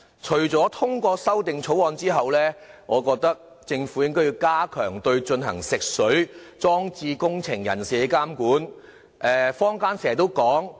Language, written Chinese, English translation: Cantonese, 除了通過《條例草案》後，我認為政府應該加強對進行食水裝置工程人士的監管。, Apart from the implementation of the Bill I think the Government should also step up the monitoring of persons engaged in the drinking water installation works